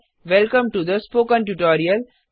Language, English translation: Hindi, Welcome to the Spoken Tutorial